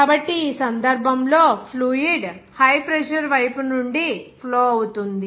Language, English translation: Telugu, So, in this case, fluid is flowing from the high pressure side here this side